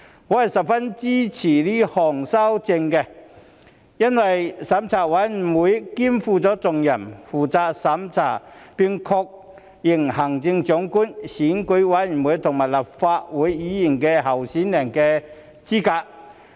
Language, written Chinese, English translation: Cantonese, 我十分支持該項修訂，因為資審會肩負重任，負責審查並確認行政長官、選舉委員會和立法會議員候選人的資格。, I very much support this amendment as CERC shoulders a heavy responsibility to review and confirm the eligibility of candidates in the Chief Executive Election Committee and Legislative Council elections